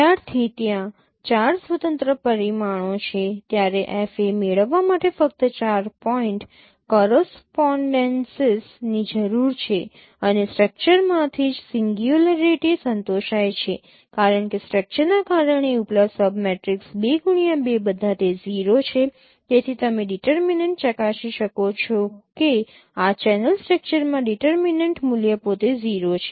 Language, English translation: Gujarati, Since there are four independent parameters you require only four point correspondences to get FA and from the structure itself singularity is satisfied because because of the structure that no all the upper sub matrix 2 cross 2 sub matrix are all of them are 0